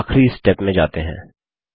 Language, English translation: Hindi, And go to the final step